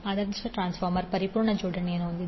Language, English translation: Kannada, The ideal transformer is the one which has perfect coupling